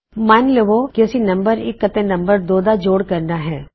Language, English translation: Punjabi, Okay, now, say I want to add num1 and num2 together